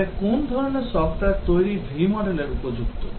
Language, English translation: Bengali, But what kinds of software developments is V model suitable